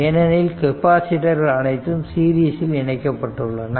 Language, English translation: Tamil, So, all of these capacitors are in series